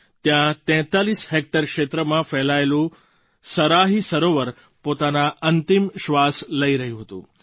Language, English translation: Gujarati, Here, the Saraahi Lake, spread across 43 hectares was on the verge of breathing its last